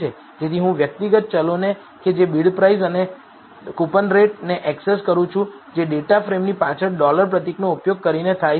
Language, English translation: Gujarati, So, I am accessing the individual variables which is bid price and coupon rate using the data frame followed by the dollar symbol